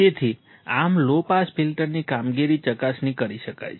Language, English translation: Gujarati, So, thus the operation of a low pass filter can be verified